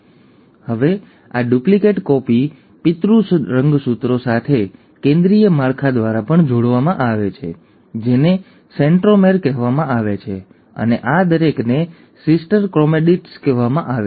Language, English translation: Gujarati, So now this duplicated copy is also attached to the parent chromosome by a central structure which is called as the centromere and each of these are called as sister chromatids